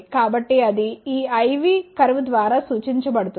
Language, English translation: Telugu, So, that is represented by this I V curve